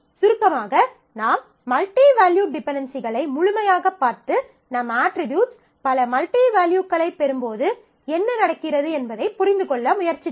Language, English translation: Tamil, So, to summarize we havetaken a full look into the multivalued dependencies and tried to understand what happens, when your attributes get multiple values